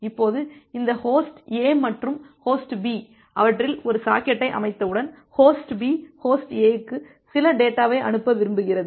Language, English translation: Tamil, Now once this host A and host B has set up a socket among them, then say host A want send some data to host B, sorry, differs host B want to send some data to host A